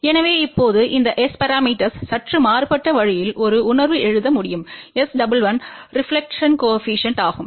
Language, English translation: Tamil, So, now, these S parameters can be written in a slightly different way in a sense that S 11 is reflection coefficient